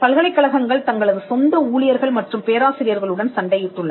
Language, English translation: Tamil, But universities are also fought with their own employees and professors